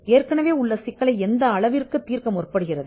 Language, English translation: Tamil, And to what extent it seeks to address an existing problem